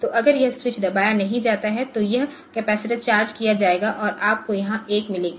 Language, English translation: Hindi, So, that if this when the switch is not pressed so this capacitor will be charged and you will get a one here